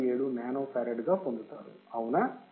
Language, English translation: Telugu, 57 nano farad or this is the value right